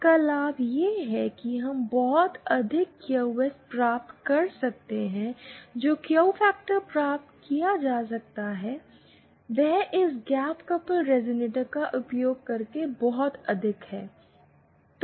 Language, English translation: Hindi, The advantage of this is that we can get very high Qs, the Q factor that can be obtained is very high using this gap coupled resonator